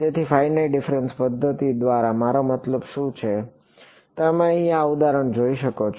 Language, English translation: Gujarati, So, what do I mean by finite difference methods, you can look at this example over here right